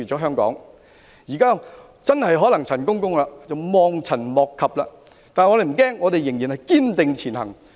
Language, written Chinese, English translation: Cantonese, 香港現時真的可能望塵莫及，但我們不用害怕，要堅定前行。, Now Hong Kong may indeed be way behind it but we need not be afraid . We must move forward staunchly